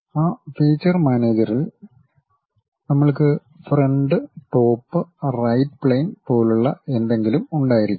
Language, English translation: Malayalam, In that feature manager, we might be having something like front, top, right planes